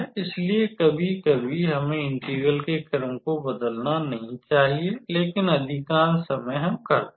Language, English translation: Hindi, So, sometimes we do not have to change the integral, but most of the time we do